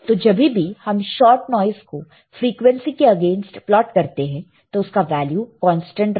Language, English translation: Hindi, So, when you plot a shot noise against frequency you will find it has a constant value ok